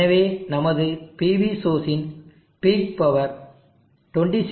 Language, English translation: Tamil, So that recall that our PV source as a big power of 26